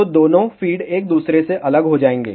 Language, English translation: Hindi, So, both the feeds will be isolated from each other